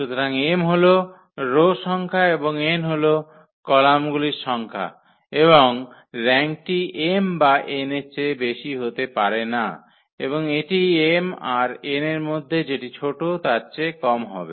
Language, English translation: Bengali, So, m is the number of rows and number of columns, and the rank cannot be greater than m or n it has to be the less than the minimum of m and n